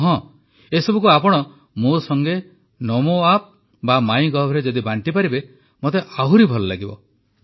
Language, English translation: Odia, And yes, I would like it if you share all this with me on Namo App or MyGov